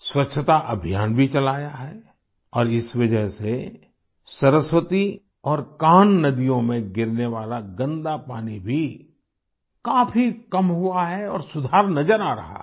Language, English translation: Hindi, A Cleanliness campaign has also been started and due to this the polluted water draining in the Saraswati and Kanh rivers has also reduced considerably and an improvement is visible